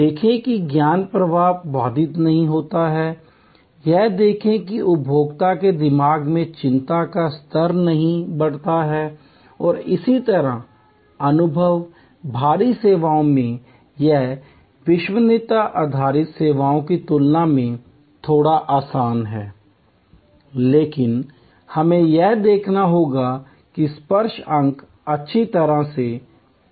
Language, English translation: Hindi, See that the knowledge flow is not interrupted, see that the anxiety level does not raise in the mind of the consumer and similarly, in the experience heavy services it is a bit easier than the credence based services, but we have to see that the touch points are well managed